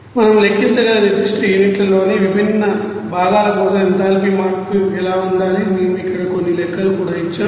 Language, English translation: Telugu, And also what should be the you know enthalpy change for that different components in the particular units that we can calculate and also we have given some you know calculations here